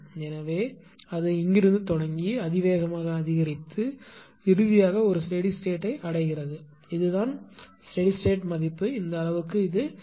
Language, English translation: Tamil, So, it is starting from here and exponentially increasing finally, reaching to a steady state and this is the steady state value that is there this much this is 0